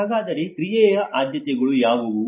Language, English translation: Kannada, So what are the priorities of action